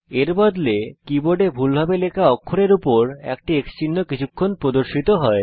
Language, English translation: Bengali, Instead an X mark briefly appears on the mistyped character on the keyboard